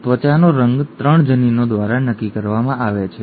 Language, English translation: Gujarati, The skin colour is determined by 3 genes